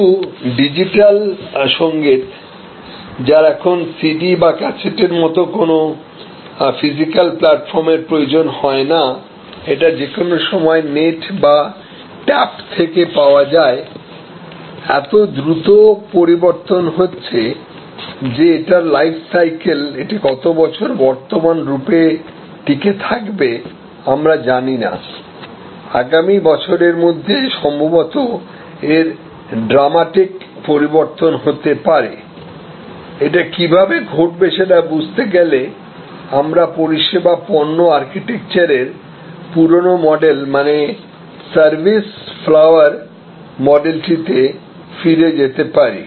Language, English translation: Bengali, But, digital music which is now often not in need of any physical platform like a cassette or a CD available somewhere on the net, available on tap anytime changing so, rapidly that it is life cycle; that means, how many years it will survive in it is current form we do not know, it might actually change quite grammatically by next year to understand how this happens, we may go back to this our old model for product service product architecture, the service flower model